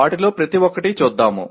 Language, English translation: Telugu, Let us look at each one of them